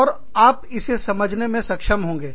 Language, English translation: Hindi, And, you will be able to understand it